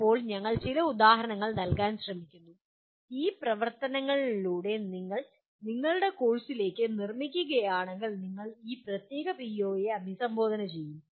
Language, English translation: Malayalam, Now we are trying to give some examples where through these activities if you build it into your course, you will be addressing this particular PO